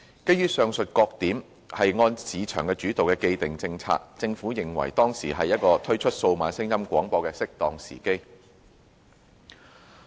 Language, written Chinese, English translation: Cantonese, 基於上述各點，並按市場主導的既定政策，政府認為當時乃屬推出數碼廣播的適當時機。, Against the above background and in accordance with the established market - led policy the Government considered that it was then an appropriate juncture to introduce DAB services in Hong Kong